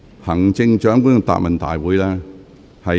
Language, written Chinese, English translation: Cantonese, 行政長官，請繼續發言。, Chief Executive please continue with your speech